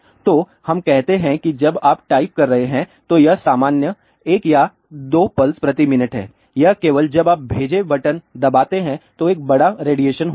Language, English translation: Hindi, So, let us say when you are typing it is a normal 1 or 2 pulses per minute it is only when you press the send button then there is a larger radiation